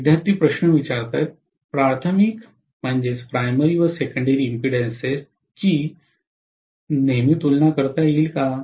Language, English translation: Marathi, Are the primary and secondary impedances always comparable